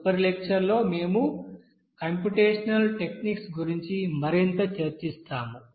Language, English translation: Telugu, And next lecture we will discuss more about that computation techniques